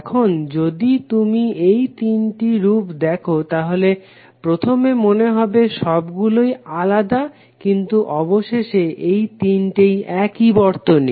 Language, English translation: Bengali, Now if you see all this three from first look it looks likes that all three are different, but eventually all the three circuits are same